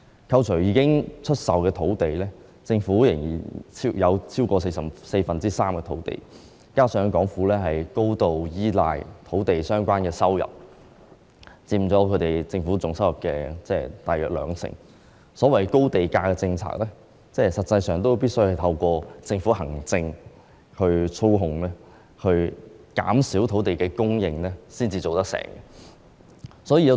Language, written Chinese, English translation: Cantonese, 扣除已經出售的土地，政府仍然擁有超過四分之三的土地，加上港府高度依賴與土地相關、佔政府總收入大約兩成的收入，所謂的高地價政策實際上必須透過政府行政操控，減少土地供應才能成事。, Excluding land that has been sold the Government still owns over three thirds of land . Coupled with the fact that the Government relies heavily on the land - related revenue which accounts for about 20 % of the total government revenue the so - called high land price policy is actually made possible only with a reduction of land supply through administrative manipulation by the Government